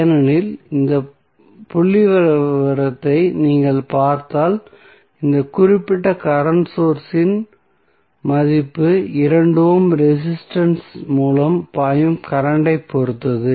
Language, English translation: Tamil, Because if you see this figure the value of this particular current source is depending upon the current flowing through 2 ohm resistance